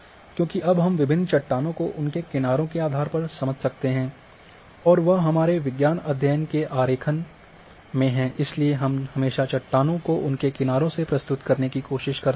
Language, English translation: Hindi, Because, now we can understand different rocks based on their ages and that is say in our science study graphic we always try to present rocks in their ages